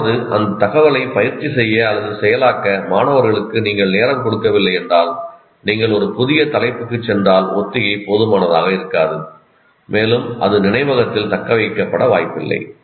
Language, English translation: Tamil, That is, if you don't give time to the students to practice or process that information and you move on to a new topic, obviously the rehearsal is not adequate and it is unlikely to be retained in the memory